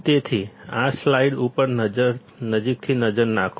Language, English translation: Gujarati, So, take a closer look at this slide